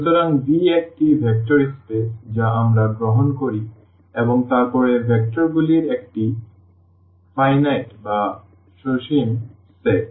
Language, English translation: Bengali, So, V is a vector space we take and then a finite set of vectors